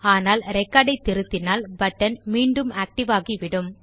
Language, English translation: Tamil, But if we edit this record again, then the button gets enabled again